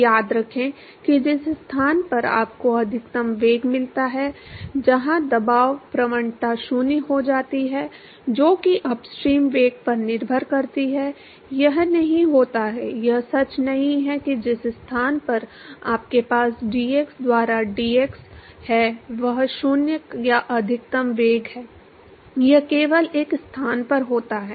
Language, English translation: Hindi, So, remember that the location where you get a maximum velocity; where the pressure gradient goes to 0, that depends upon the upstream velocity; it does not; it is not true that the location where you have d p by d x is 0 or a maximum velocity it occurs only at one location